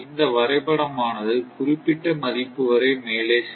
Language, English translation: Tamil, So that is, this graph that up to certain value